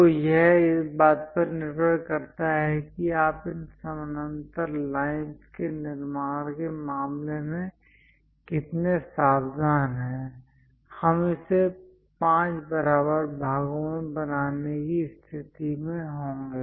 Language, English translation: Hindi, So, it depends on how careful you are in terms of constructing these parallel lines; we will be in a position to make it into 5 equal parts